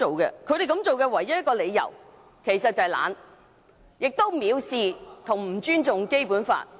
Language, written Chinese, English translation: Cantonese, 其實他們這樣做的唯一理由是懶惰，做法亦藐視和不尊重《基本法》。, Actually their proposal is based on the only reason of laziness and it also shows contempt and disrespect for the Basic Law